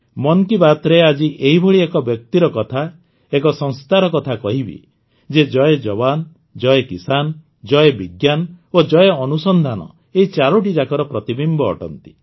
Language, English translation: Odia, In 'Mann Ki Baat', today's reference is about such a person, about such an organization, which is a reflection of all these four, Jai Jawan, Jai Kisan, Jai Vigyan and Jai Anusandhan